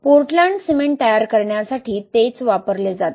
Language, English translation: Marathi, It is the same what is used to make Portland cement